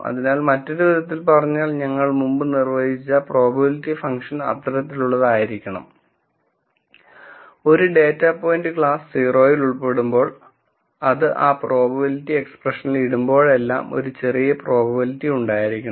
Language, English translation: Malayalam, So, in other words we could say the probability function that we defined before should be such that whenever a data point belongs to class 0 and I put that into that probability expression, I want a small probability